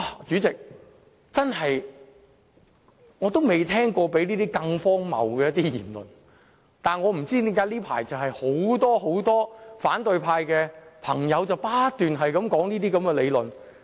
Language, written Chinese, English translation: Cantonese, 主席，我從未聽過比這更荒謬的言論，但我不知道為何這一陣子很多反對派朋友都在不斷重複這些言論。, President I have never heard of anything more ridiculous than this and I wonder why many colleagues of the opposition camp are repeating the same allegation these days